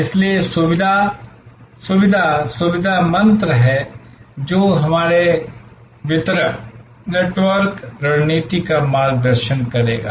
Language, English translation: Hindi, So, convenience, convenience, convenience is the mantra, which will guide our distribution network strategy